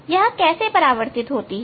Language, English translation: Hindi, How it is reflected